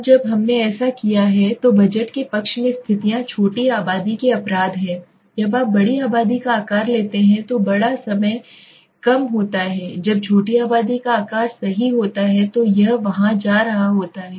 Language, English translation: Hindi, Now so when we have do so the conditions favoring at budget here is small populations censes is large time short you take a long time populations size is good when the large population size is there when it is going to when the small populations size is there right